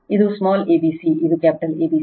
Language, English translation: Kannada, This is small a, b, c, this is capital A, B, C